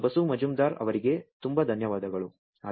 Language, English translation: Kannada, Thank you, Professor Basu Majumder